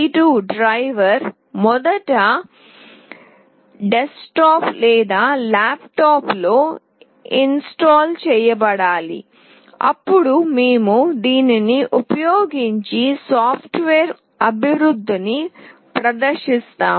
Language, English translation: Telugu, The STM32 driver must first be installed on the desktop or laptop, then we will demonstrate the software development using this